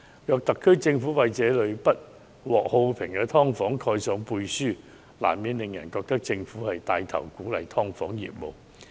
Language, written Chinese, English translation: Cantonese, 假使特區政府為這類不獲好評的"劏房"背書，難免令人質疑政府是否牽頭鼓勵"劏房"業務。, The Special Administrative Region SAR Governments endorsement of such less than welcome subdivided units will inevitably lead to queries as to whether the Government is taking the lead in promoting the operation of subdivided units